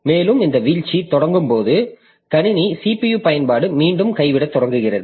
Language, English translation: Tamil, And when this thrashing initi initiates then the system that the CPU utilization will start dropping again